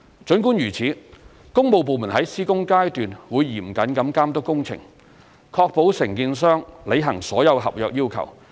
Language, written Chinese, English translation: Cantonese, 儘管如此，工務部門在施工階段會嚴謹地監督工程，確保承建商履行所有合約要求。, Notwithstanding the above works departments will closely monitor the works during the construction stage to ensure that contractors will comply with all the contract requirements